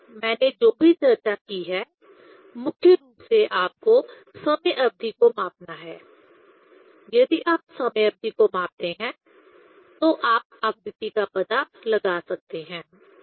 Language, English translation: Hindi, So, this whatever I have discussed, mainly one has to measure the time period; if you measure the time period you can find out the frequency